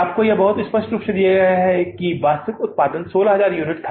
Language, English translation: Hindi, You are given very clearly the actual output is 16,000 units